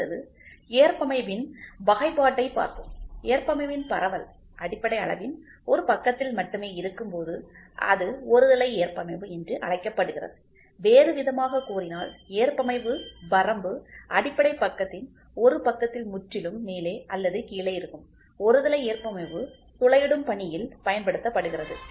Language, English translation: Tamil, Next is let us start looking into classification of tolerance, when the tolerance distribution is only on one side of the basic size it is known as unilateral tolerance, in the other words the tolerance limit lies wholly on one side of the basic side either above or below, unilateral tolerance is employed in drilling process wherein with